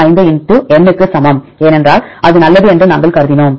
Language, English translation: Tamil, 95 * n right that is fine because we assumed it that is that is fine